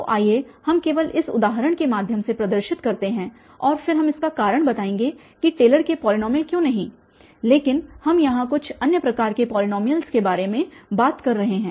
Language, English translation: Hindi, So, let us just demonstrate through this example and then we will give the reason that why not Taylor’s polynomial we are talking about some other kind of polynomials here